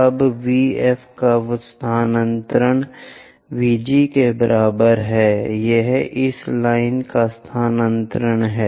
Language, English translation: Hindi, Now, transfer VF is equal to VG; this is the one transfer this line